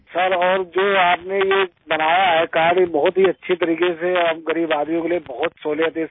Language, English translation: Hindi, Sir and this card that you have made in a very good way and for us poor people is very convenient